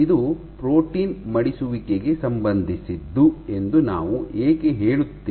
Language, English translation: Kannada, And why do we say that this is a signature associated with protein folding